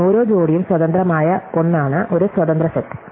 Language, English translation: Malayalam, So, an independent set is one in which every pair is independent